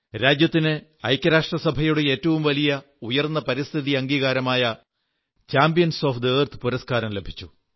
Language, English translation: Malayalam, The highest United Nations Environment Award 'Champions of the Earth' was conferred upon India